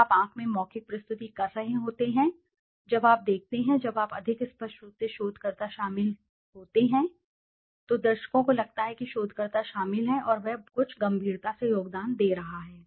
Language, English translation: Hindi, When you are doing oral presentation look in the eye, when you look, when you are more involved obviously the researcher, the audience feels that the researcher is involved and he is contributing something seriously